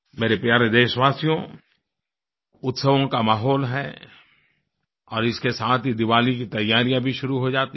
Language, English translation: Hindi, There is a mood of festivity and with this the preparations for Diwali also begin